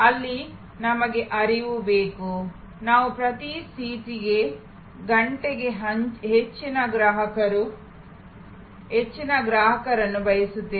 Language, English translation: Kannada, There we want flow; we want more customers per seat, per hour